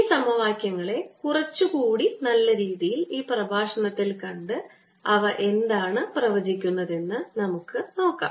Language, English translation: Malayalam, let us now see, explore this equations a better in this lecture and see what they predict